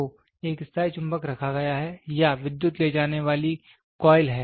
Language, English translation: Hindi, So, a permanent magnet is placed, or current carrying moving coil is there